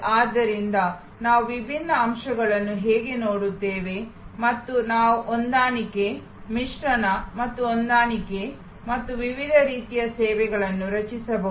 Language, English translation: Kannada, So, we see, how we look at the different elements and we can change match, mix and match and create different kinds of services